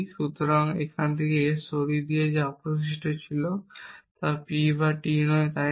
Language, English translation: Bengali, So, removed S from here and what was left was not P or T is not it